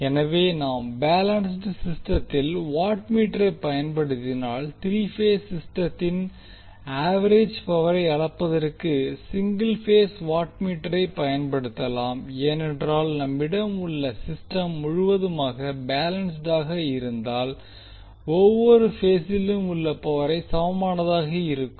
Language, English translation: Tamil, So if we use the watt meter in case of balance system single watt meter can be used to measure the average power in three phase system because when we have the system completely balanced the power in each phase will be equal